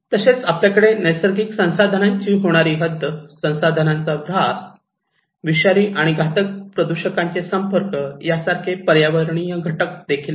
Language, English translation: Marathi, Also, we have environmental factors like the extent of natural resource depletions, the state of resource degradations, exposure to toxic and hazardous pollutants